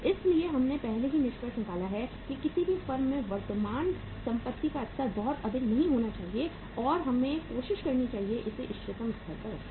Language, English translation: Hindi, So we have already uh say concluded that the level of current asset in any firm should not be very high and we should try to keep it at the optimum level